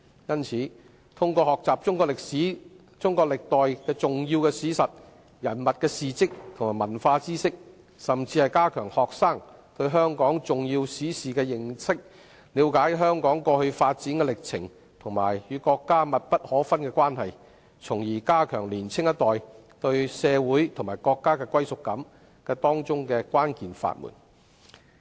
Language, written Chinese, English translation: Cantonese, 因此，通過學習中國歷史、歷代的重要史實、人物事蹟及文化知識，以及加強學生對香港重要史事的認識，使他們了解香港過去發展的歷程及與國家密不可分的關係，從而加強年輕一代對社會及國家的歸屬感，便是當中的關鍵法門。, Therefore the teaching of Chinese history important historical facts of various dynasties deeds of important persons and cultural knowledge as well as enhancing students knowledge of Hong Kongs crucial historical events are indeed the keys to increasing their understanding of our historical development and inseparable relationship with the country through which the sense of belonging of the younger generation to the community and the country can be strengthened